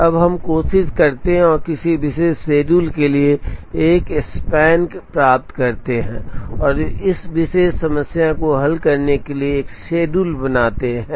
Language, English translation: Hindi, Now, let us try and get a make span for a particular schedule, and let us draw a schedule to solve this particular problem